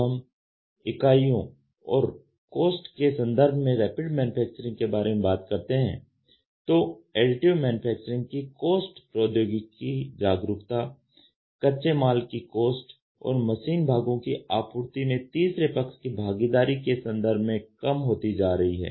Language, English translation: Hindi, When we talk about Rapid Manufacturing in terms of units and cost, the price of Additive Manufacturing is dropping in terms of technology awareness raw material cost third party involvement in supplying the machine parts